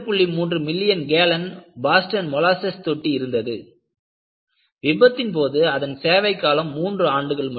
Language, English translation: Tamil, 3 million gallon Boston molasses tank, which was only 3 years old at the time of failure